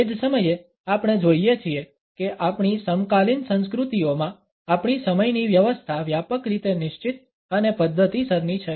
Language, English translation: Gujarati, At the same time we find that in our contemporary cultures our arrangement of time is broadly fixed and rather methodical